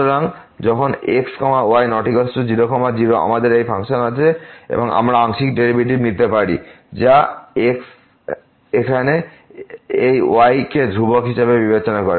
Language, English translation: Bengali, So, when is not equal to is not equal to , we have this function and we can take the partial derivative here treating this as constant